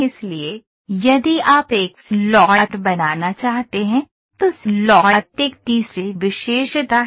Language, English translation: Hindi, So, if you want to make a slot, slot is a third feature